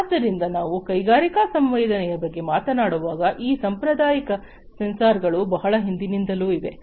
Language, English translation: Kannada, So, when we talk about industrial sensing there are these conventional sensors that have been there since long